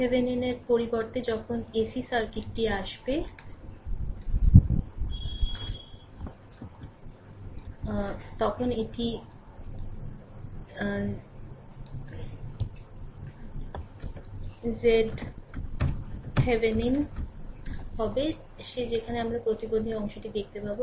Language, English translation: Bengali, When ac circuit will come at that time instead of R Thevenin, it will be z Thevenin that there we will see the impedance part right